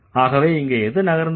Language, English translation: Tamil, So, what has moved